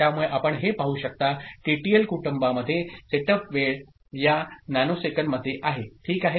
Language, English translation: Marathi, So, you see that in TTL family the setup time is, these are all in nanosecond ok